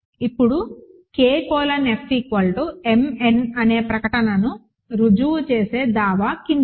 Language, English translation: Telugu, Now, the claim that will prove the statement that K colon F is m n is the following